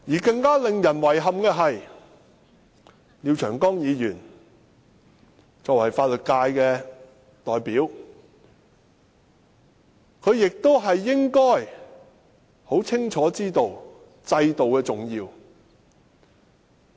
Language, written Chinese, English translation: Cantonese, 更令人遺憾的是，廖長江議員作為法律界代表，應該清楚知道制度的重要。, What is even more regrettable is the act of Mr Martin LIAO who is supposed to be very clear about the importance of our system as a representative of the legal profession